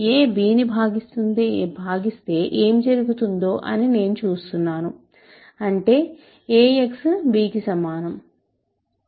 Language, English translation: Telugu, So, I am just working out what happens if a divides b that means, ax is equal to b, right